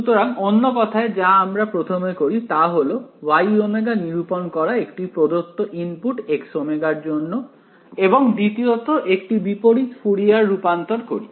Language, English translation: Bengali, So, in other words so, we will do first is we will calculate Y of omega for a known input X of omega and second is do a inverse Fourier transform right